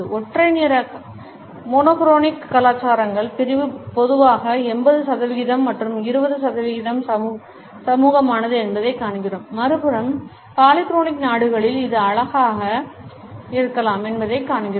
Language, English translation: Tamil, In monochronic cultures we find that the division is typically 80 percent task and 20 percent social, on the other hand in polychronic countries we find that it may be rather cute